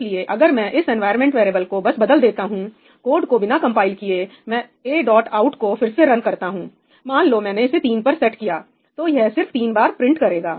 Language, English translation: Hindi, So, if I just change this environment variable and without compiling the code I run a dot out again, let us say I set it to 3 then it will only be printed thrice right